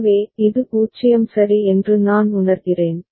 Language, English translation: Tamil, So, this I is sensed to be 0 ok